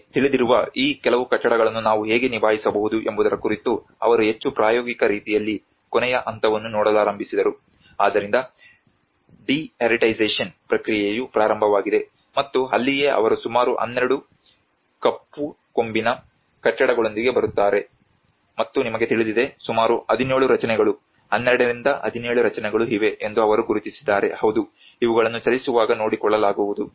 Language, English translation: Kannada, That is where they started looking at the last stage of in a more practical way of how we can deal these certain buildings you know so the de heritagisation process have started and that is where they come up with about 12 Black horn buildings and you know there is a few about 17 structures 12 to 17 structures they have identified yes these will be taken care of on the move